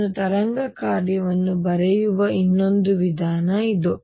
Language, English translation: Kannada, This is another way I can write the wave function